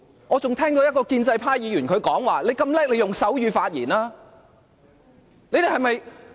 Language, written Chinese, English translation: Cantonese, 我還聽到一位建制派議員說："你那麼了不起，你用手語發言吧。, I have even heard a pro - establishment Member say If you are so remarkable express your views in sign language